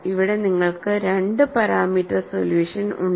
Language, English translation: Malayalam, Here you have 2 parameter solution